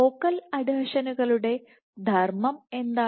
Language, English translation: Malayalam, What do focal adhesions do